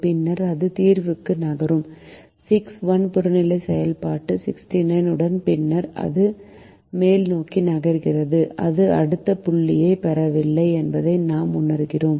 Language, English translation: Tamil, then it move to the solution six comma one with the objective function sixty nine, and then it it we realize that it is moving upwards and it is not getting the next point, therefore the feasible